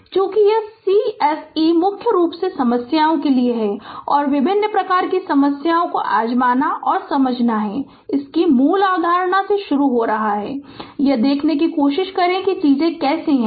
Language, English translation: Hindi, Because this course is mainly for problems right and you have to you have to give you have to try different type of problems and understanding is starting from the basic concept, you try to see how things are right